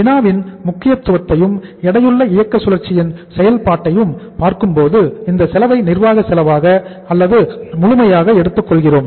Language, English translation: Tamil, And uh looking at the importance of the problem as well as the working out of the weighted operating cycle uh we are taking this cost as the administrative cost or as full